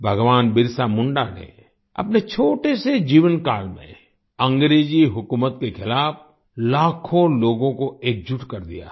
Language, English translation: Hindi, Bahgwan BirsaMunda had united millions of people against the British rule in his short lifetime